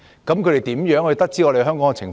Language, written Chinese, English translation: Cantonese, 他們如何得知香港的情況？, How did they get to know about the situation in Hong Kong?